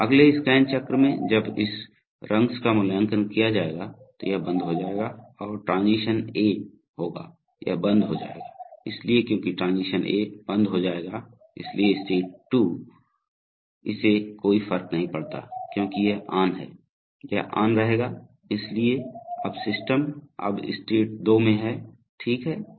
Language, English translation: Hindi, So in the next cycle in the next scan cycle when this rungs will be evaluated, this will go off and because, and transition A will, because see this will go off and this will go off, therefore because transition A will go off, so therefore state 2, this can go off, it does not matter because this is on, so therefore this will stay on, so therefore it says that now the system is in state 2, right